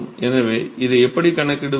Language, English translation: Tamil, So, how do we go for calculating this